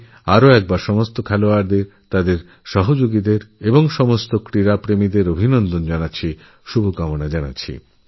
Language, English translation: Bengali, I extend my congratulations and good wishes to all the players, their colleagues, and all the sports lovers once again